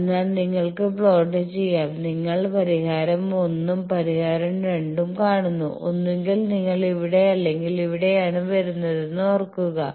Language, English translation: Malayalam, So, you can plot and you see that solution 1 and solution 2, you remember that either you are coming here or here